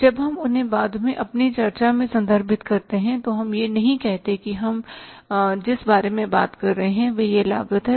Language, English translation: Hindi, When we refer them to in our discussion later on, we don't say that what is this cost and what we are talking about, we know that